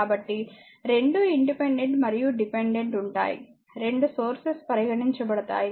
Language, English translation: Telugu, So, both your independent and dependent both sources will be considered right